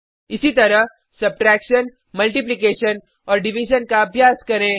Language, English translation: Hindi, Similarly, try subtraction, multiplication and division